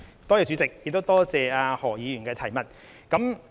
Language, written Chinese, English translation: Cantonese, 代理主席，多謝何議員的補充質詢。, Deputy President I thank Dr HO for his supplementary question